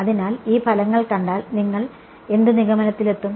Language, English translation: Malayalam, So, if you saw these results what would you conclude